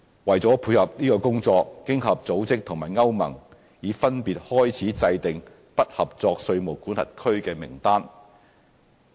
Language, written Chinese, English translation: Cantonese, 為配合這工作，經合組織和歐洲聯盟已分別開始制訂"不合作稅務管轄區"名單。, To support this both OECD and the European Union EU have kicked off their respective exercises to draw up lists of non - cooperative tax jurisdictions